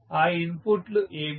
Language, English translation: Telugu, What are those inputs